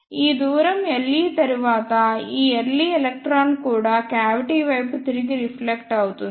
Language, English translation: Telugu, After this distance L e, this early electron is also reflected back towards the cavity